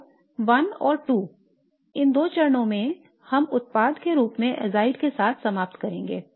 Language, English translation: Hindi, So in these two steps 1 and 2 we would end up with a azide as the product